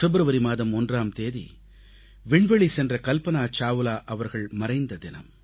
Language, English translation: Tamil, He writes, "The 1 st of February is the death anniversary of astronaut Kalpana Chawla